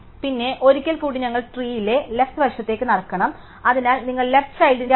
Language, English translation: Malayalam, And then, once again we must walk on to the left of tree, so you walk to the left child